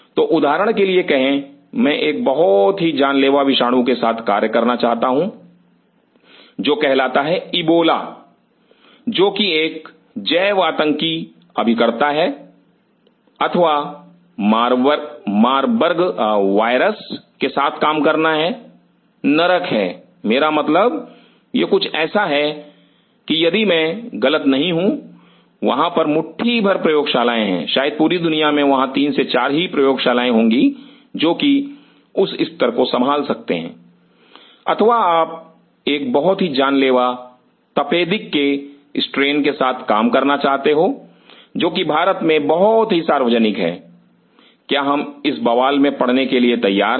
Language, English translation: Hindi, So, say for example, I wanted to work with a very deadly virus called Ebola which is a bioterrorist agent or in order to work with Marburg virus, hell I mean this is like something if I am not wrong there are handful of labs, maybe across the world there will be 3 or 4 labs who can handle that level or you want to work with a very deadly strain of TB tuberculosis which is common in India are we kicked to do so